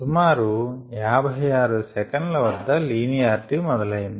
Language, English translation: Telugu, fifty six seconds is the point at which the linearity began